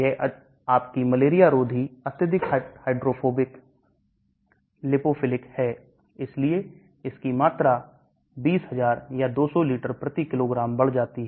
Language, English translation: Hindi, Chloroquine this is your anti malarial highly hydrophobic lipophilic, so the volume increases 20000 or 200 liters per/kg